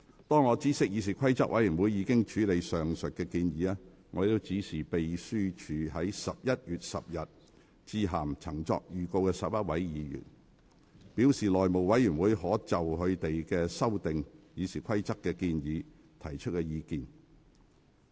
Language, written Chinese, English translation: Cantonese, 當我知悉議事規則委員會已經處理上述建議，我指示秘書於11月10日致函曾作預告的11位議員，表示內務委員會可就他們修訂《議事規則》的建議提出意見。, After learning that CRoP had dealt with the above proposals I directed the Clerk on 10 November to write to the 11 Members who had given notice that the House Committee could make a recommendation on their proposals to amend RoP